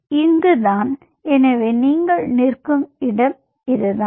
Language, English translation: Tamil, so this is where you are standing